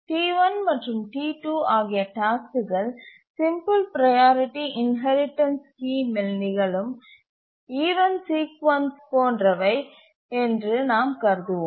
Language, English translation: Tamil, Let us assume that task T1 and T2 have the similar sequence of events as occurred in the case of simple priority inheritance scheme where we showed that deadlock occurs